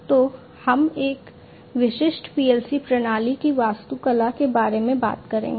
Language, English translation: Hindi, So, we will talk about the architecture of a typical PLC system